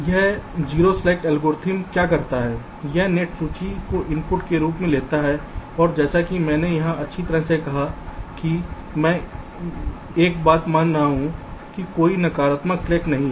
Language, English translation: Hindi, this zero slack algorithm, what it does, it takes the net list as input and, as i had said, well, here i am assuming one thing: that there are no negative slacks